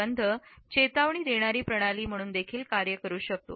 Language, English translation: Marathi, A smell can also act as a system of warning